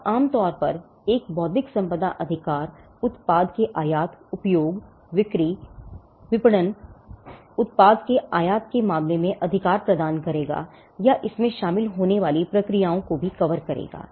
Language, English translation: Hindi, Now, normally an intellectual property right will confer the right with regard to making, using, selling, marketing, importing the product or in case the processes involved it will cover that as well